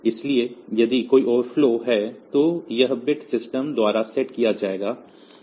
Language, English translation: Hindi, So, if there is an overflow then this bit will be then this bit will be set by the system